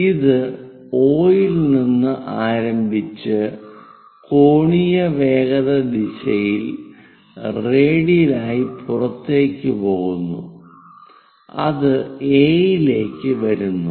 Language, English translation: Malayalam, It begins at O goes in angular velocity direction radially out finally, it comes to A